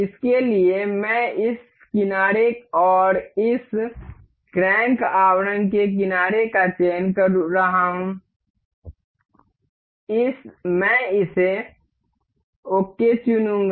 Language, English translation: Hindi, For this, I am selecting this edge and this edge of this crank casing, I will select it ok